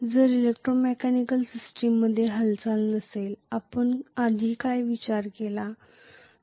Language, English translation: Marathi, If there is no movement in the electromechanical system, what we considered earlier